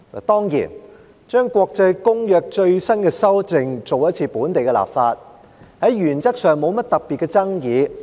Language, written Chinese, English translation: Cantonese, 當然，就國際公約最新的修訂進行一次本地立法，原則上沒甚麼特別的爭議。, Certainly enacting local legislation for the latest amendments to an international convention is nothing controversial in principle